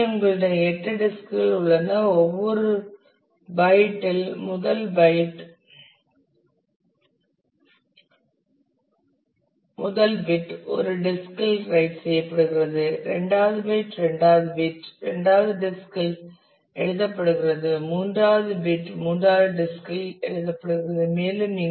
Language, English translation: Tamil, So, you have 8 disks and every byte first byte first bit is written to one disk second byte is second bit is written to the second disk, third bit is written to the third disk and so, on